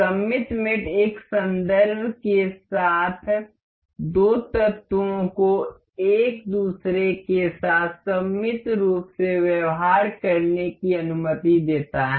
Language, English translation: Hindi, Symmetric mate allows the two elements to behave symmetrically to each other along a reference